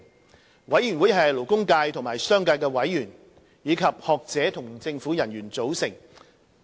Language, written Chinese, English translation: Cantonese, 最低工資委員會由勞工界和商界的委員、學者和政府人員組成。, MWC is composed of members from the labour business and academic sectors as well as public officers